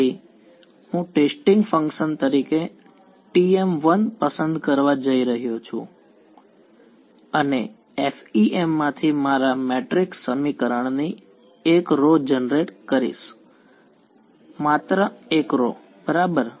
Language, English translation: Gujarati, So, I am going to choose T 1 as testing function and generate one row of my matrix equation from FEM only one row ok